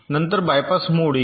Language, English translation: Marathi, then comes the bypass mode